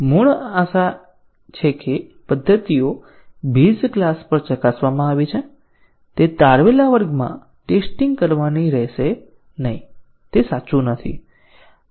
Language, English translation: Gujarati, So, the original hope that the methods have been tested at base class will not have to be tested in the derived class is not true